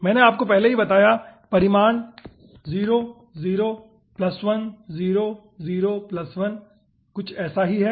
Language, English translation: Hindi, okay, i have already told you the magnitude: 0, 0 plus 1, 0, 0 plus 1, something like that